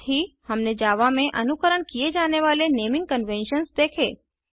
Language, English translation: Hindi, We also saw the naming conventions followed in java